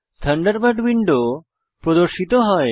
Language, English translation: Bengali, Thunderbird window opens